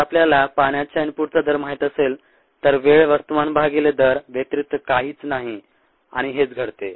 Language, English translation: Marathi, if we know the rate of water input, the time by the mass is nothing but mass divided by the rate, and that is what ah this turns out to be